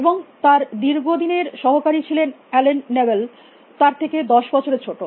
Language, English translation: Bengali, And his long time associate was Allen Newell about 10 years is junior